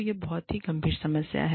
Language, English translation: Hindi, And, that is a very serious problem